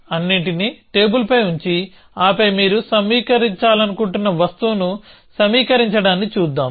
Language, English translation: Telugu, Let us see just put everything on the table and then assemble the thing that you want to assemble